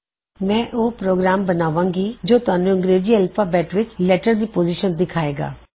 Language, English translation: Punjabi, I will create a program that lets you see the position of a letter in the English alphabet